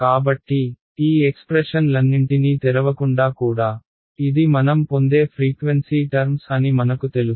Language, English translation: Telugu, So, even without doing all the opening up all these expressions I know that these are the frequency terms that I will get